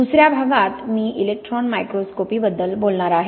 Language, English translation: Marathi, In the second part I will talk about Electron Microscopy